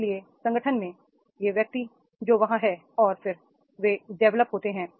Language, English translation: Hindi, So therefore in the organization these individuals, those who are there and then they are developed